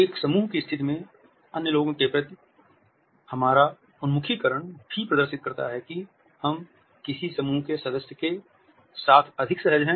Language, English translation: Hindi, In a group situation our orientation towards other people also displays with which group member we are more comfortable